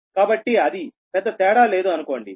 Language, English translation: Telugu, there is almost no difference